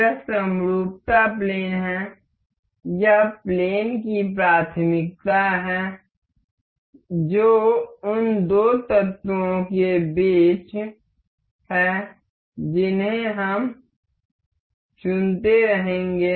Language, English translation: Hindi, This is symmetry plane; this is the plane preference that is between the two elements that we will be selecting